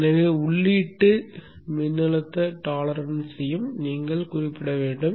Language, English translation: Tamil, So you should also specify the input voltage problems